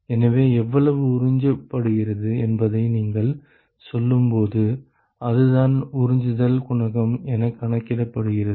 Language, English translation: Tamil, So, as you go how much is absorbed, that is what is quantified by absorption coefficient ok